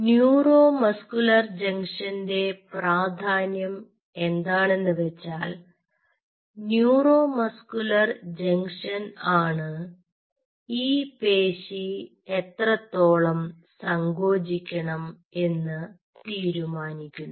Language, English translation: Malayalam, so the significance of neuromuscular junction lies in the fact that neuromuscular junction decides how much this muscle will contract